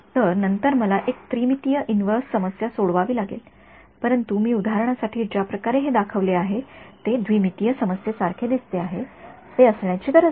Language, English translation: Marathi, So, then I have to solve a 3D inverse problem, but the way I have shown it for illustration it looks like a 2D problem, it need not be ok